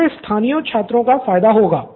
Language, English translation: Hindi, That will benefit local students